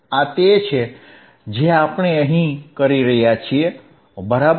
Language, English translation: Gujarati, This is what we are doing here, right